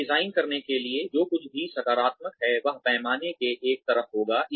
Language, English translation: Hindi, In order to design this, everything that is positive would be on one side of the scale